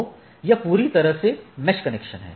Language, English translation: Hindi, So, it is a fully mesh connection